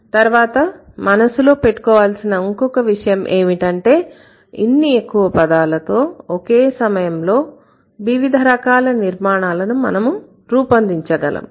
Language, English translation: Telugu, And then after that, the other thing that you need to have in mind with these many words, you should be able to generate different kind of constructions at the same time